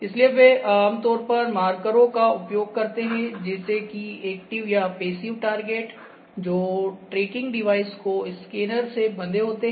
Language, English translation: Hindi, So, they usually use markers such as passive or active targets that optically bind the tracking device to the scanner